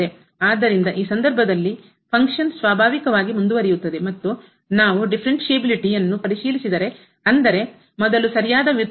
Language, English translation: Kannada, So, the function is naturally continues in this case and if we check the differentiability; that means, the right derivative first